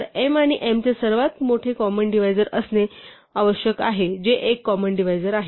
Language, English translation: Marathi, So, the greatest common divisor of m and n must be something which is a common divisor